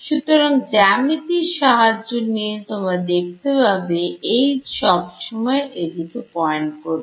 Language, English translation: Bengali, So, that just by geometry you can see that this H is always pointing in the phi hat ok